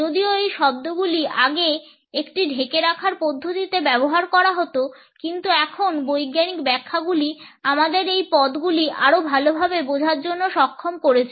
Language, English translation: Bengali, Even though these words were used earlier in a blanket manner, but now the scientific interpretations have enabled us for a better understanding and connotations of these terms